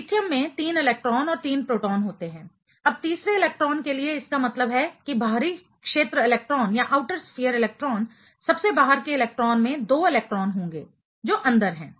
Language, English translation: Hindi, Lithium is having 3 electrons and 3 protons of course, now for the third electron that means, that the outer sphere electron, the most outside electron will have 2 electrons that is inside